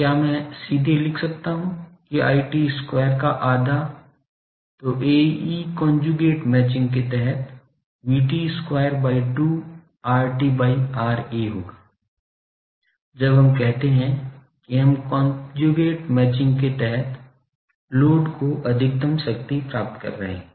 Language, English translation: Hindi, So, can I write directly that half I T square so, A e will be V T square by 2 R T by R A again under conjugate matching, when we say that we are getting maximum power to the load, under conjugate matching